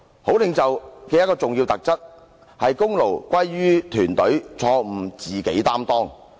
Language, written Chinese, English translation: Cantonese, 好領袖的一個重要特質，是功勞歸於團隊，錯誤自己承當。, An important feature of a good leader is that he attributes credit to the team and bears responsibilities for mistakes